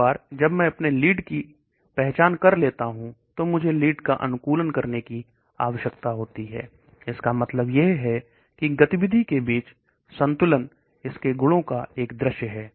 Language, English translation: Hindi, Then once I identify my lead I need to optimize the lead, that means it is the balance between activity vis a vis its properties